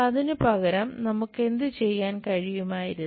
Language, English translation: Malayalam, Instead of that, what we could have done